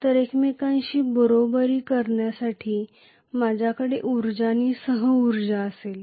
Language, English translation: Marathi, So I will have energy and co energy to be equal to each other